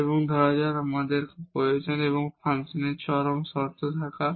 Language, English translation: Bengali, And then we come to the necessary conditions or condition for a function to have extremum